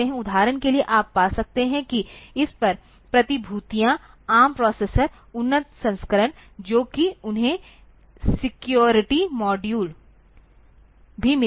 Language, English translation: Hindi, For example, you can find that the securities over this, ARM processor, the advanced version they even have got the security modules built into it